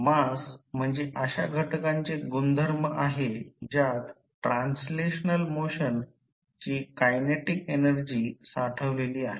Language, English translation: Marathi, Mass is considered a property of an element that stores the kinetic energy of translational motion